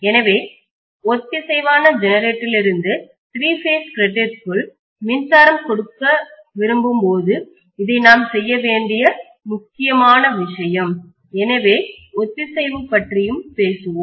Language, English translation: Tamil, So this is an important thing we need to do when we want to feed power from the synchronous generator into the three phase grid, so we will be talking about the synchronization as well